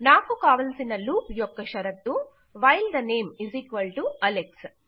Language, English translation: Telugu, The condition of the loop I want is while the name = Alex